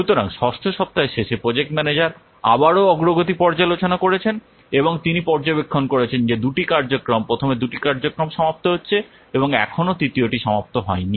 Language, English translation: Bengali, So at the end of 6th week, the project manager again, he reviews the progress and he has observed that two activities, first two activities are being finished and still three are not finished